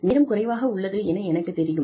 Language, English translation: Tamil, We, I know the time is limited